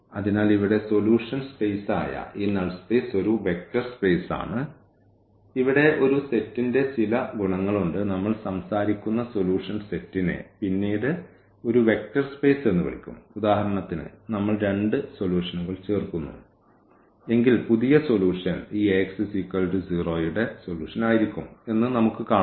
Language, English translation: Malayalam, So, this null space which is the solution space here is a vector space and there are some properties of a set here, the solution set which we are talking about which will be later called as a vector space like for instance here we see that if we add 2 solutions the new solution will be also solution of this Ax is equal to 0 equation